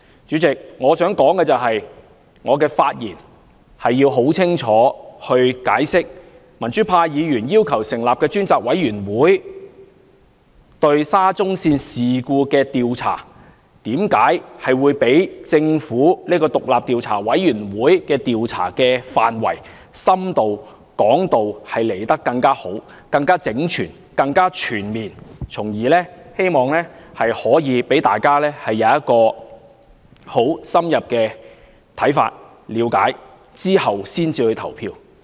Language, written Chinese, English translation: Cantonese, 主席，我發言是要很清楚地解釋，民主派議員要求成立專責委員會調查沙中線事故，為何會較政府的獨立調查委員會的調查範圍更深更廣、更整全而全面，希望從而讓大家有很深入的看法，經了解後才投票。, President I am going to explain clearly why the select committee proposed to be set up by the pro - democracy Members to probe into the SCL incident will be a cut above the Commission appointed by the Government in terms of its wider scope of investigation which would render its dimensions of work more extensive and comprehensive . I hope Members can develop some in - depth views and understanding of the matter before casting their votes